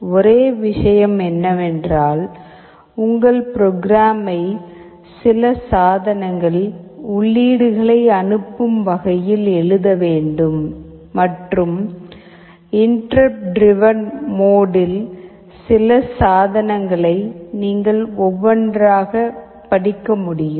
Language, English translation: Tamil, The only thing is that you have to write your program in such a way some of the devices will be sending the inputs and interrupt driven mode some of the devices you can just read them one by one